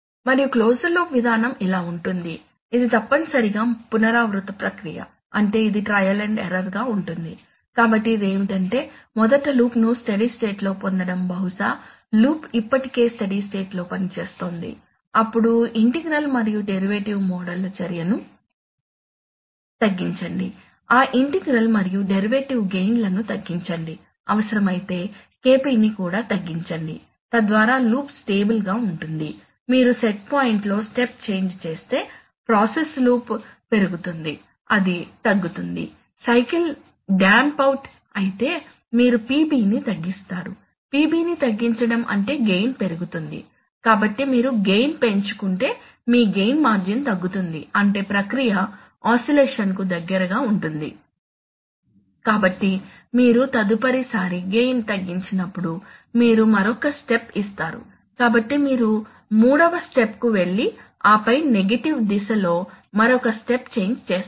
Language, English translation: Telugu, And the closed loop procedure goes like this, it is essentially an iterative procedure, that is it involves trial and error, so what it does is that first get the loop in a, in a stable condition probably the loop is already in a stable condition operating, then minimize action of integral and derivative modes, reduce those integral and derivative gains, if necessary reduce the KP also, so that the loop is stable, now make a step change in the set point right, so make a check, so if you make a step change in the set point, if you make a step change in the set point, so you make a step change in the set point